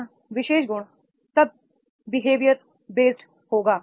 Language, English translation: Hindi, These particular particular trait then it will be behavior based